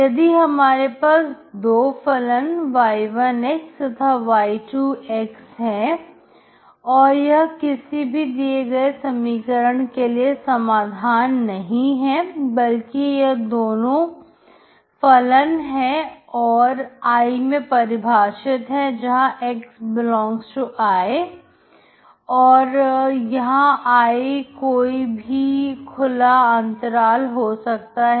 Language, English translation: Hindi, If I give two functions, y1, and y2 they are not solutions of the equation instead they two functions defined on I, where x ∈ I, and I can be any open interval